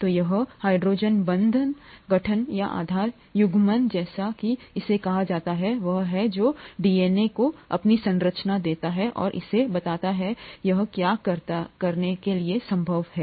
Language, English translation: Hindi, So this hydrogen bond formation or base pairing as it is called, is what gives DNA its structure and it makes it possible to do what it does